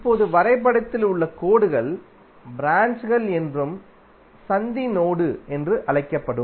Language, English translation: Tamil, Now lines in the graph are called branches and junction will be called as node